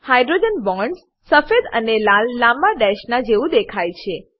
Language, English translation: Gujarati, The hydrogen bonds are displayed as white and red long dashes